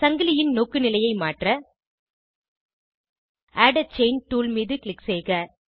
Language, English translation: Tamil, To change the orientation of the chain, click on Add a Chain tool